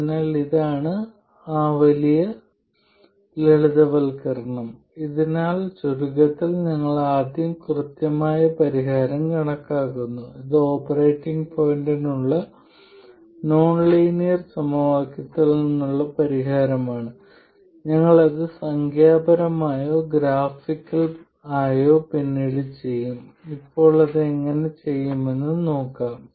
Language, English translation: Malayalam, So, in summary, we first calculate the exact solution, that is solution from the nonlinear equation for the operating point, and that we will do numerically or graph graphically later we will see how to do it by hand